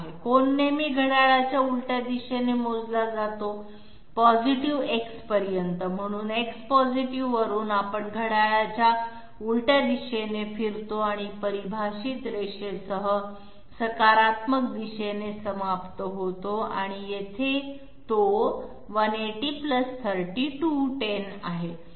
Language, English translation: Marathi, Angle is always measured counterclockwise to the X positive, so from X positive we move counterclockwise and end up with the positive direction with the defined line and here it is 180 + 30 = 210